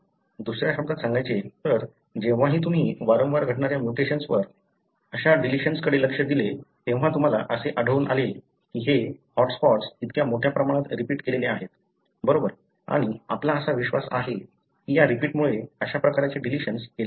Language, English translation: Marathi, In other words, whenever you looked into mutations that are happening recurrently, such deletions, you find that these hotspots are flanked by such large repeats, right and that is why we believe that these repeats result in such kind of deletion